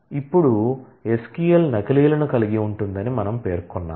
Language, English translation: Telugu, Now, we have specified that SQL does carry duplicates